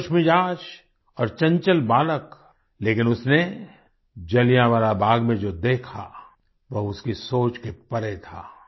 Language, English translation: Hindi, A happy and agile boy but what he saw at Jallianwala Bagh was beyond his imagination